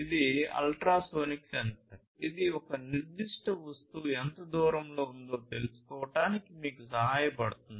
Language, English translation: Telugu, This ultrasonic sensor can help you to detect how far a particular object is